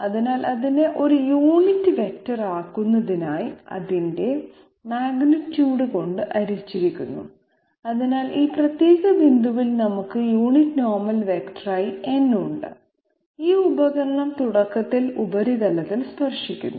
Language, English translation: Malayalam, So it is divided by its magnitude in order to make it a unit vector, so we have n as the unit normal vector at this particular point, where the tool is touching the surface initially